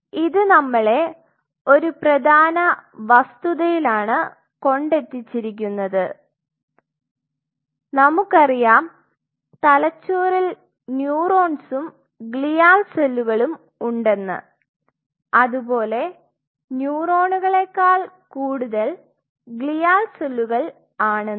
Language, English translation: Malayalam, So, that essentially brings us to a point of course, we know in the brain you have both the glial cells and the neurons and glial cell out numbers the neurons